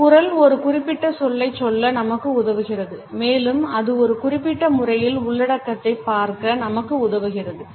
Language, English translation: Tamil, Our voice enables us to say a particular word, our voice enables us to see the content in a particular manner